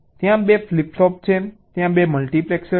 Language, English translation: Gujarati, there are two flip flops, there are two multiplexors